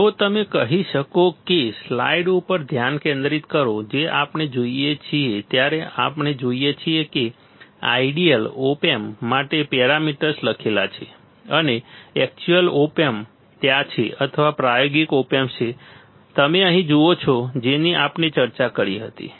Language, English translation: Gujarati, So, if you can say focus back on the slide what we see we see that the parameters are written for idea op amp is there and real op amp is there or practical op amp is there you see here that is what we were discussing right